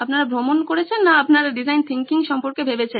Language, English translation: Bengali, You guys been travelling or you guys have been thinking about design thinking